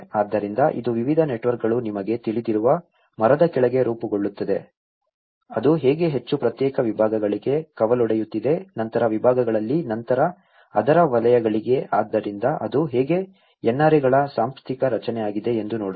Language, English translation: Kannada, So, it is a variety of networks which is forming under a kind of tree you know, how it is branching out to a much more individual departments, then later on the divisions, later on to the sectors of it, so that is how it organizational structure of NRAs